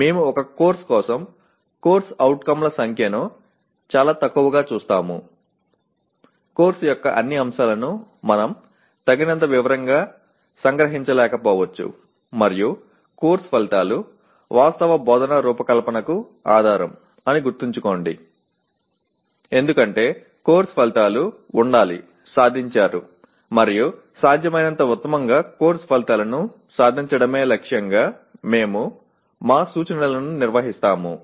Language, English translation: Telugu, We will look at the number of COs for a course too small a number of COs we may not be able to capture in sufficient detail all aspects of the course and remember that course outcomes form the basis for actual instruction design because course outcomes are to be attained and we conduct our instruction to aiming at attainment of course outcomes in the best possible way